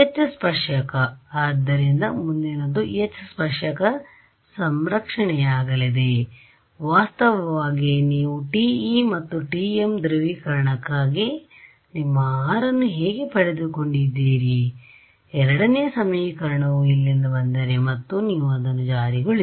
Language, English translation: Kannada, H tan right, so next is going to be H tan conserved at this is actually how you derived your R for TE and TM polarization right, if the second equation comes from here and you just enforce it